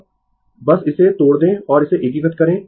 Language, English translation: Hindi, Now, you just break it and just you integrate it